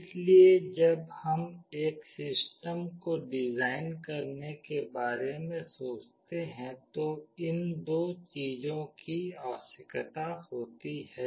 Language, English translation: Hindi, So, when we think of designing a system these two things are required